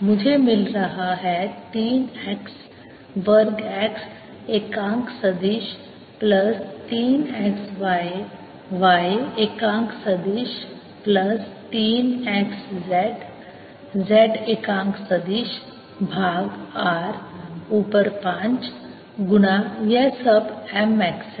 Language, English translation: Hindi, i am getting three x square x unit vector plus three x, y, y unit vector plus three x, z z unit vector over r raise to five times